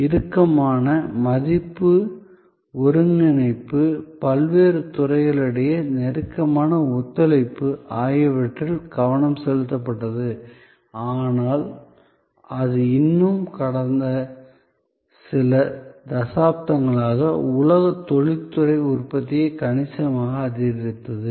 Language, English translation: Tamil, So, the focus was on tighter value integration, closer cooperation among the various departments, but it still, it increased worlds industrial output significantly over the last few decades